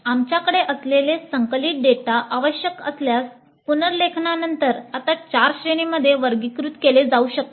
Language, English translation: Marathi, Then the consolidated data that we have can now after rewording if necessary can now be classified into four categories